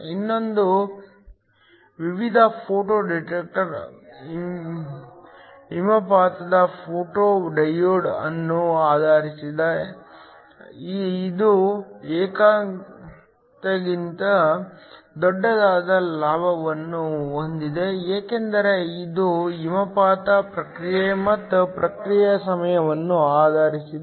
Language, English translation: Kannada, Another type of a photo detector is based on an Avalanche photo diode, which also has a gain that is larger than unity because it is based on avalanche process and also very response time